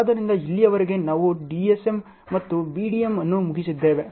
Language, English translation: Kannada, So, far we have finished DSM and BDM